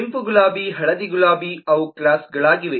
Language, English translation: Kannada, red roses and yellow roses are both kinds of roses